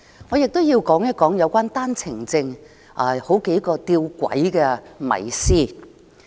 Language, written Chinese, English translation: Cantonese, 我想說一說有關單程證的幾個弔詭迷思。, I would like to talk about a few paradoxical mysteries about OWPs